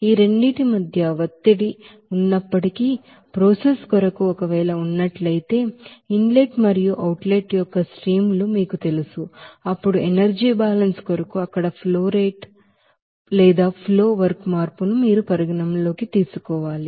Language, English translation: Telugu, Even if there is a pressure between these two you know streams of inlet and outlet if is there for the process then you have to consider that flow work change there for the energy balance